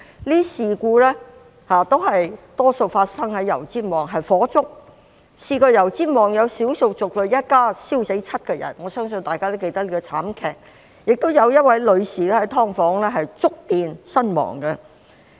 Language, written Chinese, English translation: Cantonese, 這些事故大多發生在油尖旺區，有的是火災，曾經有少數族裔一家燒死7個人，我相信大家也記得這個慘劇，亦有一位女士在"劏房"觸電身亡。, Most of these incidents happened in Yau Tsim Mong District among which were fires . In one of the fires seven members of a family of ethnic minorities died . I believe Members will remember this tragedy; separately a woman was electrocuted to death in an SDU